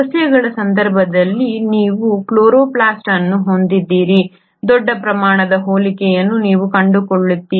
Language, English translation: Kannada, In case of plants you have the chloroplast, you find there is a huge amount of similarity